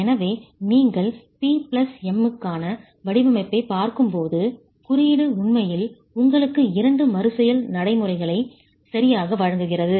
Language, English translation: Tamil, So the code, when you're looking at design for P plus M, the code actually gives you two iterative procedures